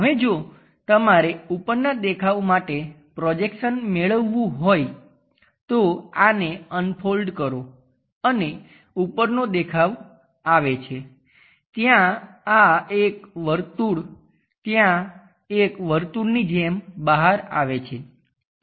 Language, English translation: Gujarati, Now if you are looking the projection onto the top one unfolding it it comes as top view there this entire circle comes out like a circle there